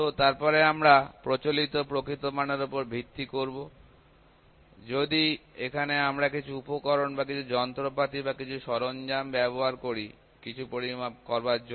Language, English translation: Bengali, So, then we have based upon the conventional true value; we have if I use some equipment here or some instrument here or some tool here to measure something, I will get a measurement result